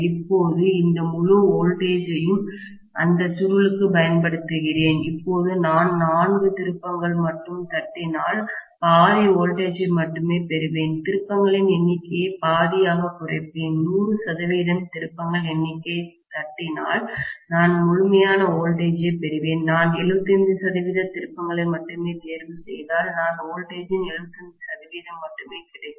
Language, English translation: Tamil, Now, I am applying this entire voltage to that coil, now if I tap only 4 number of turns, I will get only half the voltage, halve the number of turns, if I tap the 100 percent number of turns, I will get complete voltage, if I choose only 75 percent of turns, I will get only 75 percent of voltage